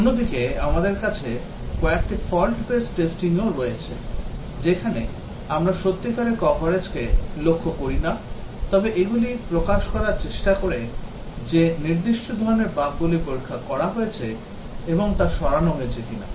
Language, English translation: Bengali, On the other hand, we also have few fault based testing, where we do not target really coverage, but these try to expose that whether certain types of bugs have been tested and removed